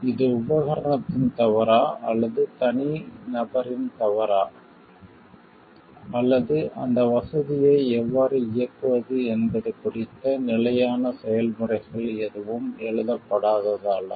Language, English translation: Tamil, Is it the fault of the equipment, or is it the fault of the person, or is it because no standard processes is written how to operate at that facility